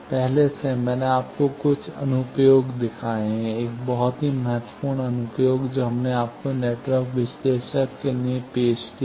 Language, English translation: Hindi, Already, I have shown you some application; a very important application, that we have introduced you to network analyzer